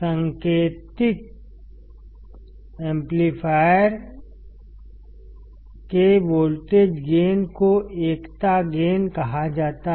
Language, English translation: Hindi, Voltage gain of the indicated amplifier is called unity gain